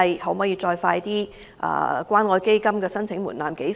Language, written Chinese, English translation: Cantonese, 何時可以降低關愛基金的申請門檻？, When will the eligibility threshold for the Community Care Fund be lowered?